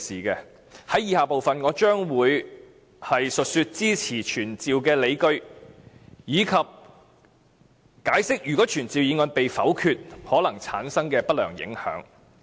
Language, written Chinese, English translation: Cantonese, 在以下部分，我將會述說支持傳召的理據，以及解釋如果傳召議案被否決可能產生的不良影響。, Next I will elaborate on the justifications for supporting the motion and explain the adverse effects that may arise if the motion is negatived